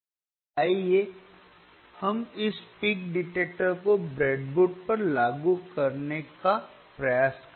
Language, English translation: Hindi, And let us try to implement this peak detector on the breadboard, on the breadboard